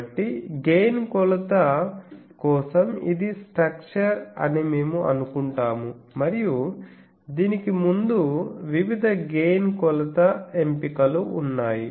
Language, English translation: Telugu, So, for gain measurement we assume this is the structure and there are various gain measurement options before that